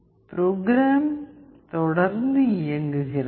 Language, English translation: Tamil, The program is continuously running